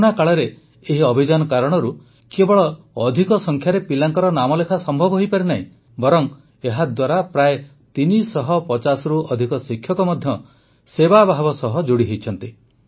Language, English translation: Odia, During the Corona period, due to this campaign, not only did the admission of a large number of children become possible, more than 350 teachers have also joined it with a spirit of service